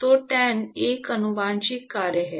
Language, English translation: Hindi, So, tan is a transcendental function